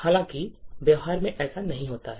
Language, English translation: Hindi, However, this is not what happens in practice